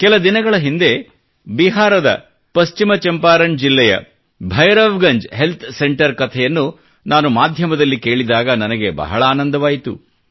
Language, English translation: Kannada, Just recently, I came across on the media, a story on the Bhairavganj Health Centre in the West Champaran district of Bihar